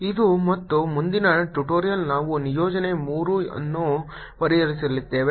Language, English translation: Kannada, this and the next tutorial we are going to solve assignment three